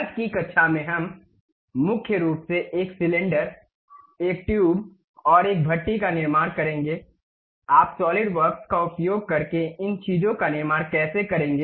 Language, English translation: Hindi, In today's class mainly we will construct, a cylinder, a tube, and a hearth, how do you construct these things using Solidworks